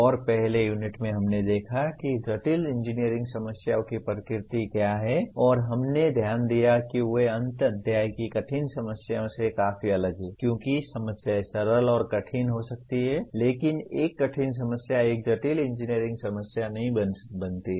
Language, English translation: Hindi, And in the earlier unit we looked at what is the nature of complex engineering problems and we noted that they are significantly different from the end chapter difficult problems because problems can be simple and difficult but a difficult problem does not become a complex engineering problem